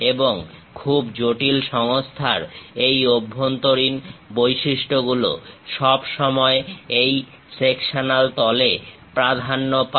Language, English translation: Bengali, And these interior features of very complicated assemblies are always be preferred on this sectional planes